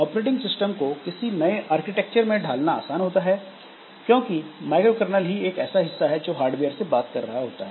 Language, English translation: Hindi, Easier to port the operating system to new architectures because the microcernel part so that actually talks to the hardware